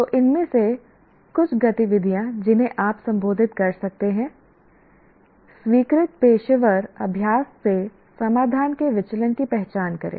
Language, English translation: Hindi, So some of the activities that you can address are identify the deviations of a solutions from the accepted professional practice